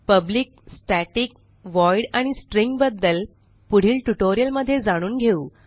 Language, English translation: Marathi, We will describe public, static, void and String in a future tutorial